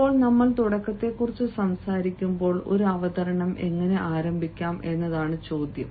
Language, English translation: Malayalam, now, when we talk about beginning, the question is how to begin a presentation